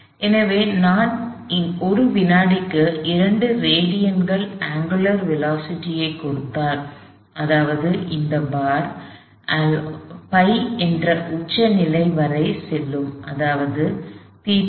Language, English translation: Tamil, So, if I give and angular velocity of 2 radians per second; that means, this bar is going to go up to the top most position pi, theta f equals pi radians